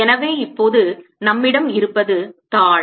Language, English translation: Tamil, so now what we have is